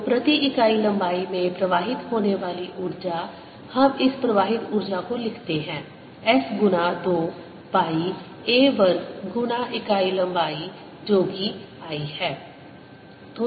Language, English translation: Hindi, lets write this: flowing in is going to be s times two pi a times the unit length, which is one